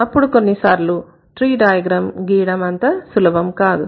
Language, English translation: Telugu, So the tree diagrams sometimes are not that easy to draw